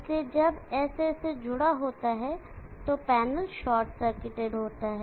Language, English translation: Hindi, So when S is connected to A, the panel is short circuited